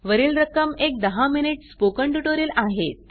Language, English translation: Marathi, The above amounts are for a ten minute spoken tutorial